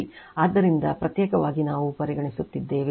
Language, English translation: Kannada, So, separately we are considering